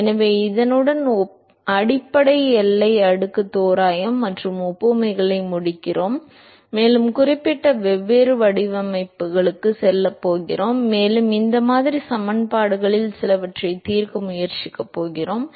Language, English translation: Tamil, So, with this we sort of finish the basic boundary layer approximation and analogies and we going to move into the specific different geometries and this is where we are going to attempt to solve some of these model equations